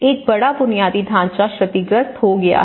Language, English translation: Hindi, This is a huge infrastructure has been damaged